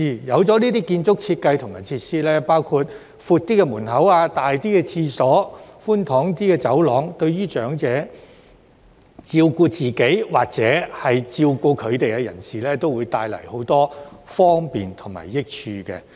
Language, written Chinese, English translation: Cantonese, 有了這些建築設計和設施，包括較闊的門口、較大的廁所、寬敞一些的走廊，對於長者照顧自己，或照顧他們的人士，也會帶來很多方便和益處。, Such building design and facilities including wider entrances larger washrooms and more spacious corridors will bring convenience and benefits to elderly persons taking care of themselves or those taking care of them